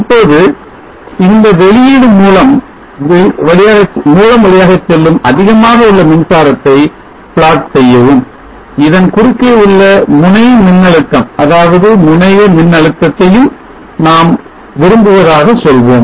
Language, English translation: Tamil, Now let us say we would like to plot the current through this output source where is high and the node voltage across this that is the terminal voltage